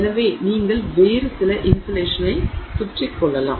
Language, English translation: Tamil, So, you can wrap some other insulation all around